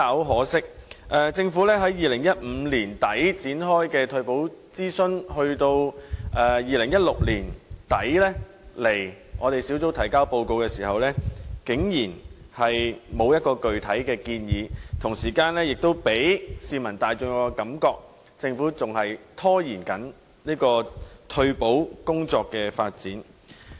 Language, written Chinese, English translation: Cantonese, 可惜，政府在2015年年底就退休保障展開的諮詢，至2016年年底向小組委員會提交報告時，竟然沒有提出具體建議，並予市民大眾一種感覺，就是政府仍在拖延退休保障工作的發展。, Regrettably despite the consultation on retirement protection launched by the Government by the end of 2015 the Government failed to put forth any specific proposals when it submitted the report to the Subcommittee by the end of 2016 giving the public the impression that the Government was resorting to procrastination in retirement protection work